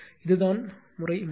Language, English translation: Tamil, This is the case 3